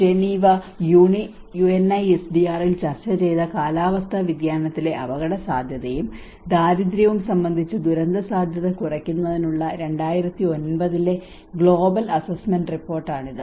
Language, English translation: Malayalam, So this is the basically the 2009 global assessment report on disaster risk reduction, which is risk and poverty in climate change which has been discussed in Geneva UNISDR and this is a disaster risk poverty nexus